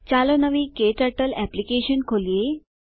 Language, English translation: Gujarati, Lets open a new KTurtle Application